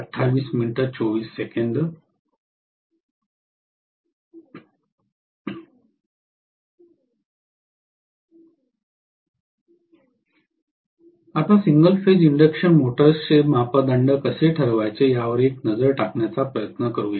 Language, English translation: Marathi, Now, let us try to take a look at how to determine the parameters of the single phase induction motors